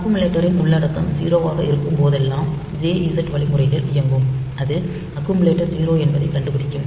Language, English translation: Tamil, So, whenever the accumulator content is 0, so if you execute a z instructions, so it will find that the accumulator is 0